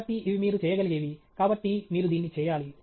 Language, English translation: Telugu, So, these are things that you can do, and so, you need to do that